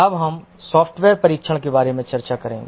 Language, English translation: Hindi, We will now discuss about software testing